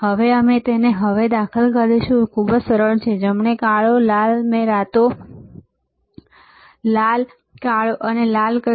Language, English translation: Gujarati, Now, we will insert it now, it is very easy right black and red I said black and red